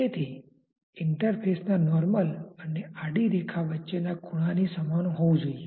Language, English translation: Gujarati, So, that should be same as the angle between the normal to the interface and the horizontal